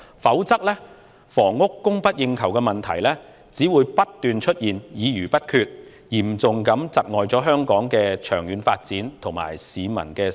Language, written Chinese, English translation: Cantonese, 否則，在房屋供不應求的問題上，只會不斷出現議而不決的情況，嚴重窒礙香港的長遠發展，以及市民的生活質素。, Otherwise on the problem of an inadequate supply of housing the situation of having discussions without making decisions will recur all the time thus seriously affecting Hong Kongs long - term development and the publics quality of life